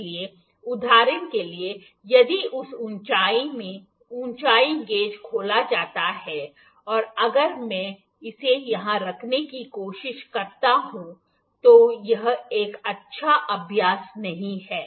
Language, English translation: Hindi, So, for instance if the height gauge is opened in this height and if I try to place it here this is not a good practice